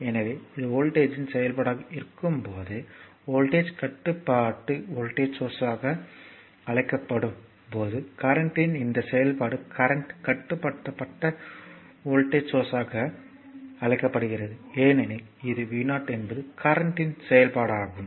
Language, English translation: Tamil, So, this is when it is function of voltage it is called voltage controlled voltage source when these function of current it is called current controlled voltage source because it is because v 0 is a function of the current, I hope this is simple thing I hope it is understandable to you